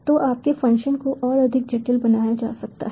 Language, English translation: Hindi, so your functions can be made more complicated